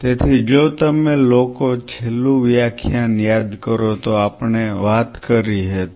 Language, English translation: Gujarati, So, if you guys recollect in the last lecture we talked about